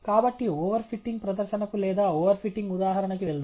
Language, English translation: Telugu, So, let’s move on to the over fitting demonstration or the over fitting example